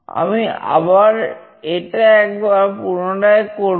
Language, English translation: Bengali, I will just repeat this once more